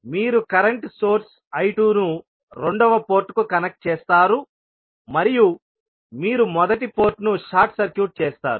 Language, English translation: Telugu, You will connect current source I 2 to the second port and you will short circuit the first port